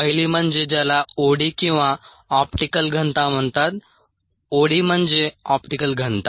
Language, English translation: Marathi, the first one is what is called OD are optical density